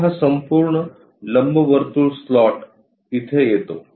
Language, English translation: Marathi, Now this entire elliptical kind of slot comes here